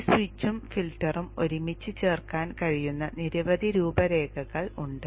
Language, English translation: Malayalam, There are many configurations in which this switch and the filter can be put together